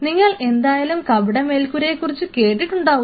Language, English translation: Malayalam, So, you all have heard about a false roof it is something like